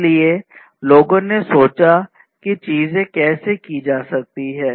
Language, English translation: Hindi, So, people thought about how things could be done